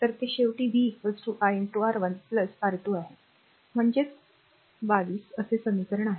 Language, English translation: Marathi, So, ultimately it is v is equal to i into R 1 plus R 2, that is equation say 22, right